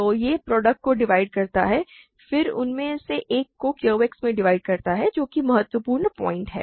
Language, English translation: Hindi, So, it divides the product then it divides one of them in QX that is the important point